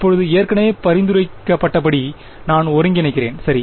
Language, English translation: Tamil, And now as already been suggested I integrate right